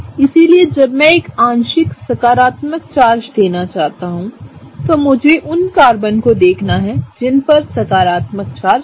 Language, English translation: Hindi, So, when I want to give a partial positive charge, I will look at the Carbons that have it